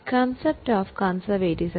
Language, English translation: Malayalam, Now, what do you mean by concept of conservatism